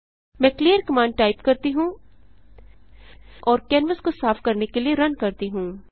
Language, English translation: Hindi, Let me typeclearcommand and run to clean the canvas